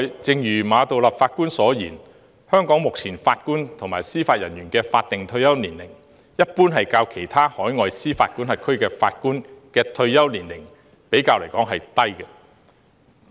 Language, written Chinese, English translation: Cantonese, 正如馬道立法官所言，目前香港法官及司法人員的法定退休年齡，一般較其他海外司法管轄區的法官的退休年齡為低。, Just as Chief Justice Geoffrey MA has said the current statutory retirement age of JJOs in Hong Kong is generally lower than that of judges in other overseas jurisdictions